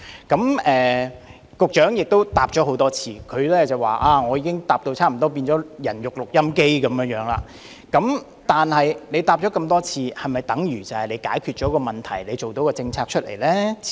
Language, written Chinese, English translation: Cantonese, 儘管局長已經多次作答，並表示他好像變成了"人肉錄音機"，但多次回答是否便等於問題已獲解決，是否表示已訂好政策呢？, Though the Secretary has made repeated replies and likened himself to a human recording machine do these repeated replies mean that the problems have been solved and policies have been formulated?